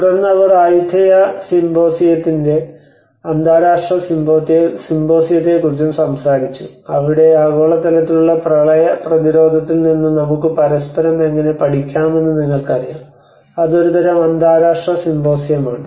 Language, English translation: Malayalam, Then they also talked about the international symposium of Ayutthaya symposium where we can learn from the global experts of flood resilience you know how we can learn from each other so that is a kind of international symposium